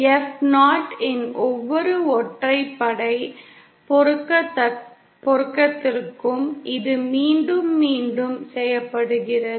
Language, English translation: Tamil, For every odd multiples of F0, it is repeated